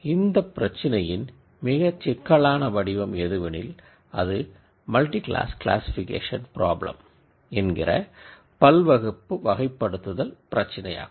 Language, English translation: Tamil, Now, complicated version of this problem is what we call as a multiclass classification problem where I have labels from several different classes